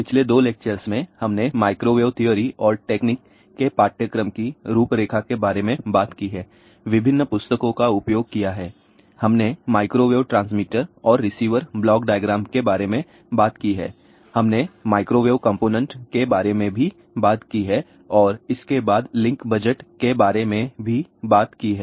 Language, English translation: Hindi, In the last couple of lectures, we have talked about microwave theory and technique, course outline, different books used, we talked about the microwave transmitter and receiver block diagram, we also talked about microwave components and it was followed by link budget